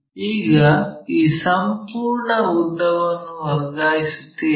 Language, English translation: Kannada, Now transfer this entire length